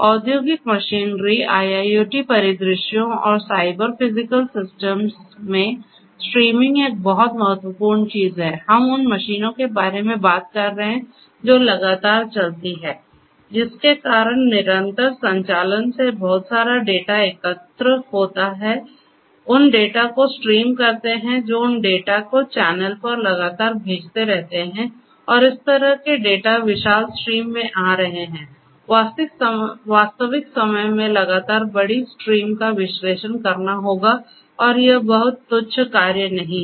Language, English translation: Hindi, Streaming is a very important thing in industrial machinery, IIoT scenarios, Cyber Physical Systems we are talking about machines which run continuously; which because of the continuous operations collect lot of data, stream those data, stream those data that will send those data continuously over the channel and such kind of data coming in huge streams, large streams continuously in real time will have to be analyzed and that is not a very trivial task